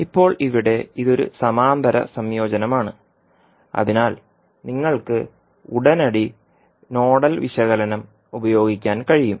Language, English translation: Malayalam, Now here, it is a parallel combination so you can straightaway utilize the nodal analysis